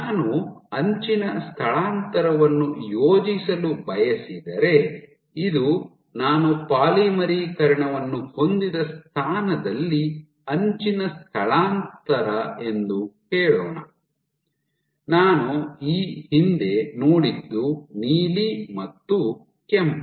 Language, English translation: Kannada, So, if I want to plot the edge displacement let us say this is my edge displacement at the position where I had polymerization previously what I see and the rest points blue again I have red and so on and so forth